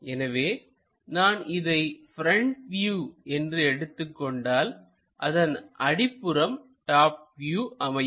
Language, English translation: Tamil, So, if I am making this one as the front view front view, this one will be the top view